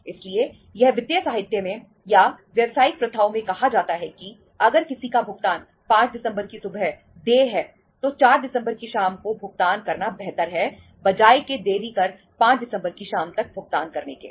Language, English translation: Hindi, So it is said in the financial literature or in the business practices that if any payment is due to be made to anybody say on 5th of December morning it is better to make the payment on or in the evening of the 4th of December rather than delaying it to the evening of the 5th of December